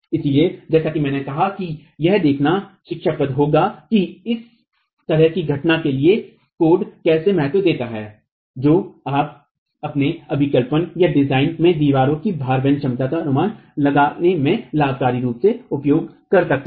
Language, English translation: Hindi, So, as I said, it will be instructive to see how do codes account for this sort of a phenomenon that you can beneficially utilize in estimating the load carrying capacity of the wall in your design